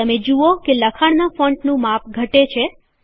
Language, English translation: Gujarati, You see that the font size of the text decreases